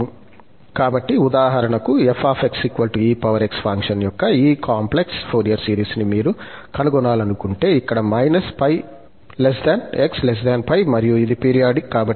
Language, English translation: Telugu, So, if you want to find, for example, this complex Fourier series of this function f x is equal to exponential x and x lies between minus pi and pi